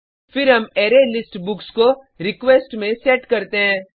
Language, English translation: Hindi, Then we set the ArrayList books into the request